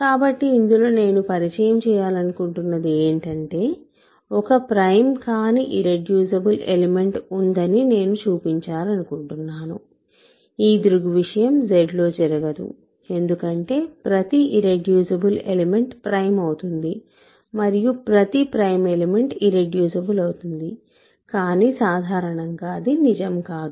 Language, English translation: Telugu, So, in this I want to introduce, I want to actually show that there is an irreducible element that is not prime which that phenomenon does not happen in Z because every irreducible element is prime every prime element is irreducible, but that is not in general true